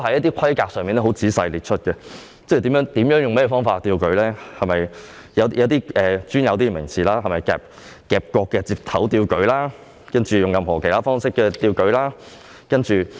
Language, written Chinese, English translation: Cantonese, 當中亦仔細列出了一些規格，包括用甚麼方法舉吊，也用上了一些比較專有的名詞如從夾角接頭舉吊或藉任何其他附加方法舉吊。, In this connection certain specifications have been carefully listed out including various methods used to lift up a container and technical expressions such as lifting from corner fittings or lifting by any other additional methods have been used